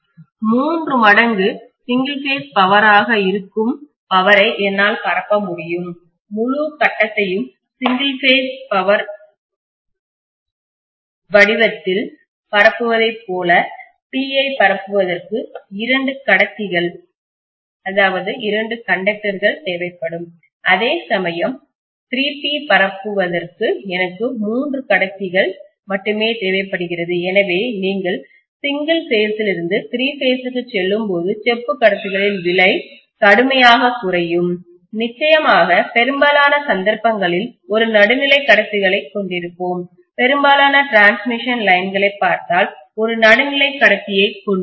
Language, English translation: Tamil, And I will be able to disseminate power which is three times single phase power where as if I am disseminating the whole thing in the form of single phase power I am essentially going to require two conductor for disseminating just P whereas here I am disseminating 3 P for which I require only 3 conductor, so the cost what is involved in copper conductors that comes down drastically when you go from single phase to three phase, of course in most of the cases we will be having a neutral conductor also, if you look at most of the transmission lines we will be having a neutral conductor